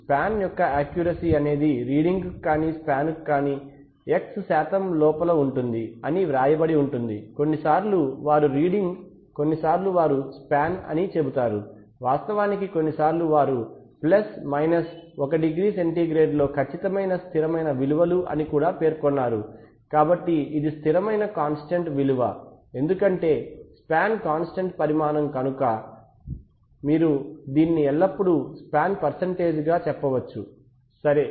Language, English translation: Telugu, Next let us talk about one of the most important parameter called accuracy, so accuracy, if you see instrument specification there will be, there will be generally written as accurate to within X percent of either reading or span sometimes they say reading sometimes they say span in fact sometimes they also mentioned constant values that is accurate within plus minus 1 degree centigrade so if when this constant value then since the span is a constant quantity so you can always express it as a percentage of span also right